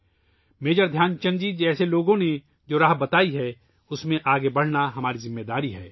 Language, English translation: Urdu, On the course charted by people such as Major Dhyanchand ji we have to move forward…it's our responsibility